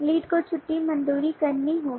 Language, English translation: Hindi, the lead has to approve leave